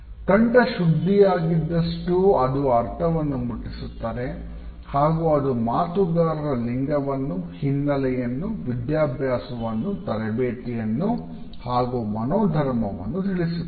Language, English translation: Kannada, The clearer the voice the more effectively it will convey the meaning and it also informs us of the speaker’s gender, background, education, training, attitude, temperament etcetera